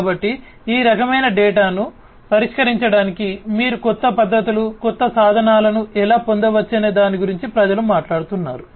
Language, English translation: Telugu, So, people are talking about how you can have newer methodologies, newer tools in order to address this kind of data